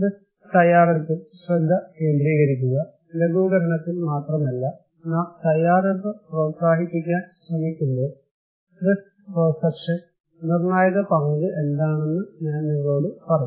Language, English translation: Malayalam, Also to focus on risk preparedness, not only in mitigation and also I will tell you what is the critical role of risk perception when we are trying to promote preparedness